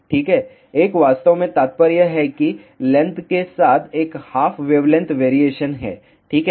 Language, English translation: Hindi, Well, 1 actually implies that there is a 1 half wave length variation along the length ok